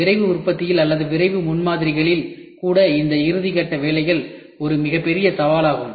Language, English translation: Tamil, The biggest challenge even in rapid manufacturing or in rapid prototyping what we talk about is this finishing is a challenge